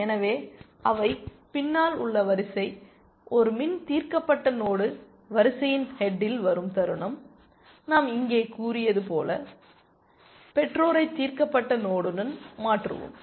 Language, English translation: Tamil, So, they are behind in the queue, the moment a min solved node comes into the head of the queue as we have said here, we just replace the parent with the solved node